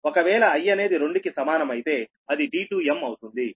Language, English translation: Telugu, that means k is equal to one, it is d one m